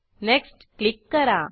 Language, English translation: Marathi, Then click on Next